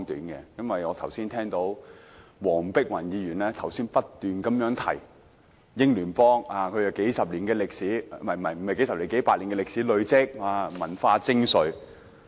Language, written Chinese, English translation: Cantonese, 我剛才聽到黃碧雲議員不斷提到英聯邦有數十年......不，是數百年歷史，累積文化精粹。, Just now I heard Dr Helena WONG say repeatedly that the Commonwealth has a history of decades no a history of several hundred years during which it has made outstanding cultural achievements